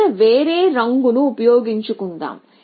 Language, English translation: Telugu, So, let me use a different color here